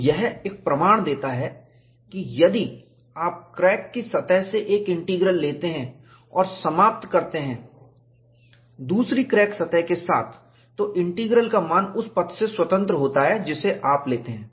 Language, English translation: Hindi, So, this gives a proof, that if you take a integral from the crack surface and ends with the other crack surface, the value of the integral is independent of the path that you take